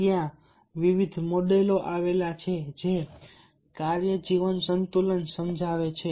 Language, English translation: Gujarati, and there are different models that explain he work life balance